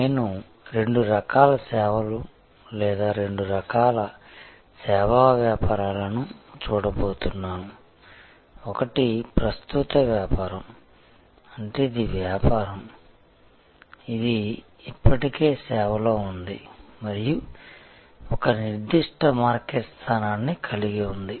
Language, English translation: Telugu, And I am going to look at two types of services or two types of service businesses, one which is an incumbent business; that means that is a business, which is already in service and has a certain market position